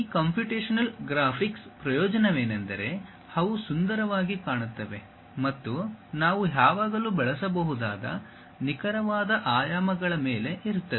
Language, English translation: Kannada, The advantage of these computational graphics is they look nice and over that precise dimensions we can always use